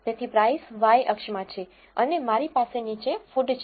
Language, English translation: Gujarati, So, price is in the y and I have food below